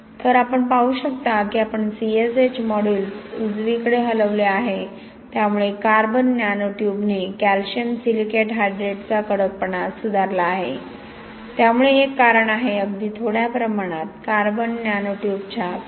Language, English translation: Marathi, So you can see that we have moved CSH modulus to the right, so carbon nano tube has improve the stiffness of calcium silicate hydrate, so this is why, one of the reason why, even with a small amount 0